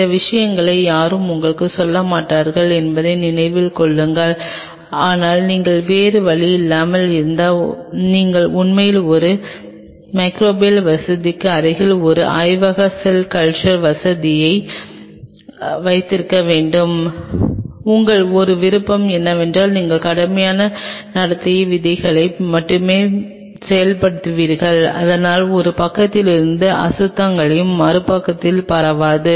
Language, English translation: Tamil, Keep that in mind these things no one will tell you, but then if you are no other go and you have to really have a lab cell culture facility adjacent to a microbial facility, then your only option is that you just implement strict code of conduct, so that contaminants from one side does not spill over into the other one